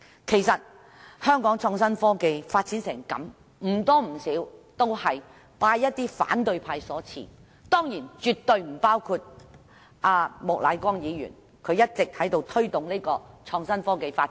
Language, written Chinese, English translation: Cantonese, 其實香港的創新科技發展成這樣子，不多不少都是拜一些反對派所賜，但當然，絕對不包括莫乃光議員，他一直在推動創新科技發展。, As a matter of fact such a state of development of innovation and technology in Hong Kong is attributable to a certain extent to some Members of the opposition camp but of course they absolutely do not include Mr Charles Peter MOK . He has all along been promoting the development of innovation and technology